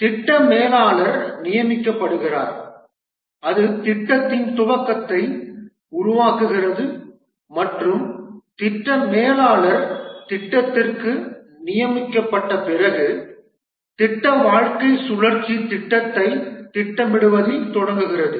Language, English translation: Tamil, The project manager is appointed and that forms the initiation of the project and after the project manager is appointed for the project the life lifecycle starts with planning the project